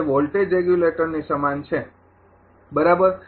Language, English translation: Gujarati, It is analogous to a voltage regulator right